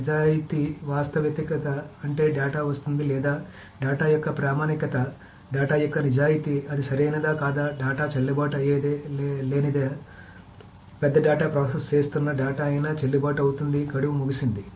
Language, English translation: Telugu, So veracity, veracity means whether the data that is coming, the authenticity of the data, the truthfulness of the data, whether it is correct or not, the validity, same thing, whether the data is still valid or the data that one is processing big data has expired